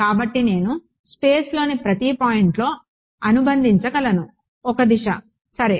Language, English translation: Telugu, So, I am able to associate at each point in space, a direction ok